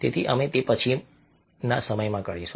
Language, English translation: Gujarati, so we will do that in later point of time